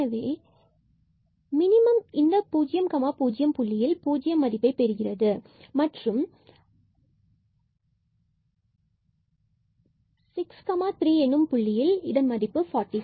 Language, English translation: Tamil, So, the minimum at 0 0 will be 0 and the maximum value here is attained at the point 6 3 and the value of the function is 6 45